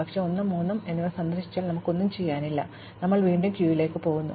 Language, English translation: Malayalam, But, since 1 and 3 are both visited, we have no work to do and we go on and go back to the queue